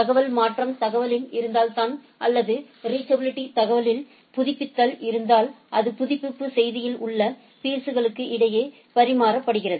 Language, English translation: Tamil, If there is a information change in the information or updating the reachability information it is exchanged between the peers in the update message